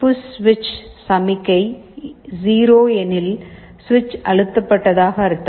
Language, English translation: Tamil, If the push switch signal is 0, it means switch has been pressed